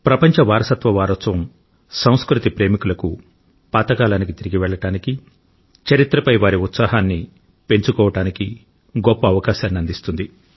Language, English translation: Telugu, World Heritage Week provides a wonderful opportunity to the lovers of culture to revisit the past and to know about the history of these important milestones